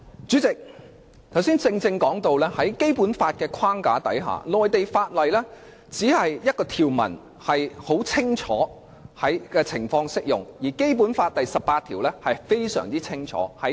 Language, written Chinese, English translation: Cantonese, 主席，剛才說到在《基本法》的框架下，第十八條清楚訂明內地法例在何種情況下可在香港實施，而有關規定是非常清楚的。, President just now I said that under the framework of the Basic Law Article 18 has clearly specified the circumstances under which Mainland laws shall be applied in Hong Kong and the requirements are perfectly clear